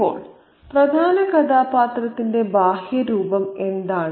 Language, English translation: Malayalam, Now, what is the external appearance of the main character